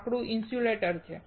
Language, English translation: Gujarati, wood is an insulator